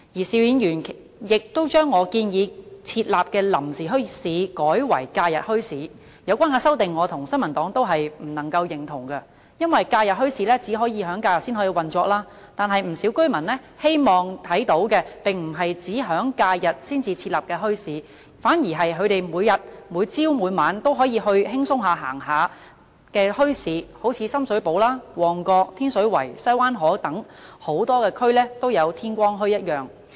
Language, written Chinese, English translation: Cantonese, 邵議員亦將我建議設立的"臨時墟市"改為"假日墟市"，對於有關的修正，我及新民黨都不能夠認同，因為假日墟市只可以在假日運作，但不少居民希望看到的並不是只在假日才設立的墟市，反而是每天早上及晚上都可以前往閒逛的墟市，好像深水埗、旺角、天水圍、西灣河等多區都有的天光墟。, Mr SHIU has also changed the temporary bazaars in my proposal to holiday bazaars . Both the New Peoples Party and I cannot agree with such an amendment because holiday bazaars can only operate on holidays . Yet what many residents want is not bazaars to be set up just on holidays but ones that they can go visit in the morning and evening every day such as dawn bazaars in districts such as Sham Shui Po Mong Kok Tin Shiu Wai and Sai Wan Ho